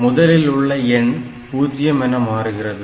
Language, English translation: Tamil, And anything which is more than 0